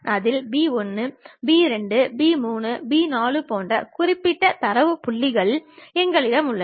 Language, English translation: Tamil, In that, we have particular data points like P 1, P 2, P 3, P 4